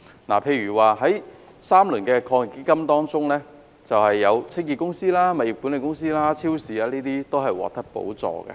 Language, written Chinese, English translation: Cantonese, 例如，在3輪基金中，清潔公司、物業管理公司及超市等均獲得補助。, For example in the third round subsidies under the Fund were provided to cleaning companies estate management companies and supermarkets